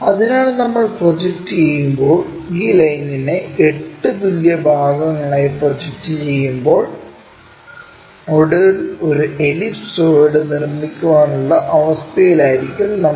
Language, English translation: Malayalam, So, that when we are projecting, projecting this line also into 8 equal parts, finally, we will be in a position to construct an ellipsoid